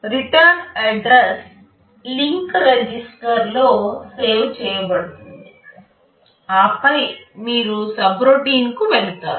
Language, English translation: Telugu, The return address will be saved into the link register, and then you jump to the subroutine